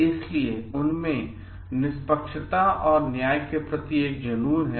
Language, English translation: Hindi, So, they have an obsession towards fairness and justice